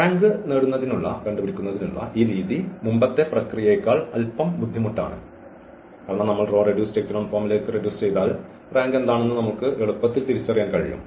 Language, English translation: Malayalam, Though it is little bit difficult than the earlier process of getting the rank where we reduced to the row reduced echelon form and then we can easily identify what is the rank